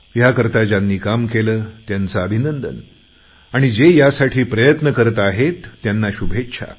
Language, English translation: Marathi, My congratulations to those who have made it possible, and best wishes to those who are trying to reach the target